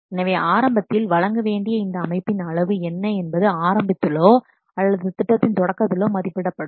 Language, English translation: Tamil, So, at the very beginning, what will the size of the system that has to deliver is estimated at the very beginning or at the outset of the project